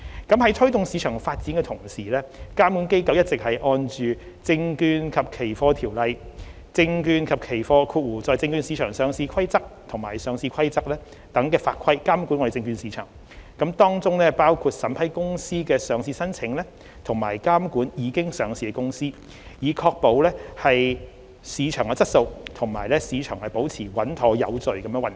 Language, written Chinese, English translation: Cantonese, 在推動市場發展的同時，監管機構一直按《證券及期貨條例》、《證券及期貨規則》和《上市規則》等法規監管證券市場，當中包括審批公司的上市申請，以及監管已上市的公司，確保市場質素及市場保持穩妥有序地運作。, While promoting market development the regulatory authorities have been supervising the securities market including approving companies listing applications and supervising listed companies in accordance with laws and regulations such as the Securities and Futures Ordinance the Securities and Futures Rules and the Listing Rules etc to uphold market quality and the smooth and orderly operation of the market